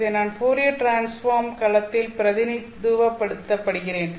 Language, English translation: Tamil, I'm representing this in the Fourier transform domain